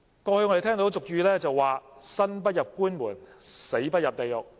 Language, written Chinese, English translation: Cantonese, 過去有俗語謂："生不入官門、死不入地獄"。, As the common saying goes One never steps through a government office door in ones lifetime and never goes to hell after death